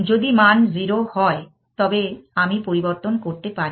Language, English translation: Bengali, If the value is 0, I am allowed to change